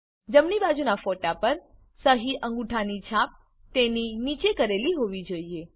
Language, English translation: Gujarati, For the right side photo, the signature/thumb impression should be below it